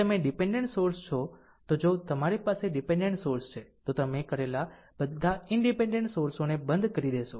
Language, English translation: Gujarati, If you are a dependent sources look if you have dependent sources, you will turn off all independent sources done